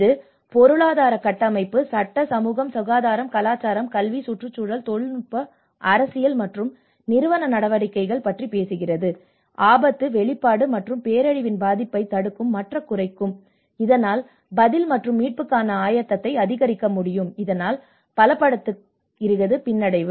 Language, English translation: Tamil, It talks about the economic, structural, legal, social, health, cultural, educational, environment, technological, political and institutional measures that prevent and reduce hazard, exposure and vulnerability to disaster so that it can increase the preparedness for response and recovery thus strengthening the resilience